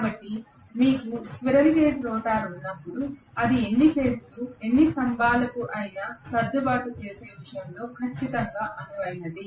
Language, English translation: Telugu, So rotor then you have squirrel cage rotor it is absolutely flexible, absolutely flexible in terms of adjusting itself to any number of phases, any number of poles